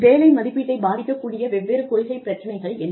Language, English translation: Tamil, What are the different policy issues, affecting job evaluation